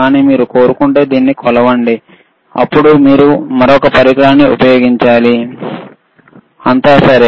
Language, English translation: Telugu, But if you want to measure it, then you have to use another equipment, all right